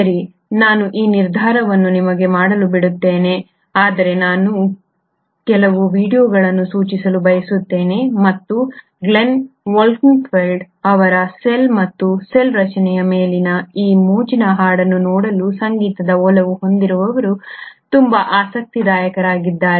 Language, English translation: Kannada, Well I leave that decision for you to make but I would like to suggest a few videos, and there is a very interesting the ones who are musically inclined to just look at this fun song on cell and cell structure by Glenn Wolkenfeld